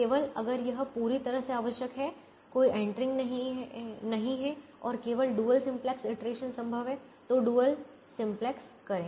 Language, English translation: Hindi, there is no entering and only dual simplex iteration is possible, then do the dual simplex